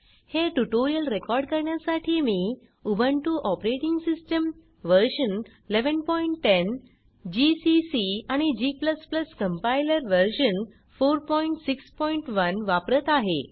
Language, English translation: Marathi, To record this tutorial, I am using, Ubuntu Operating System version 11.10 gcc and g++ Compiler version 4.6.1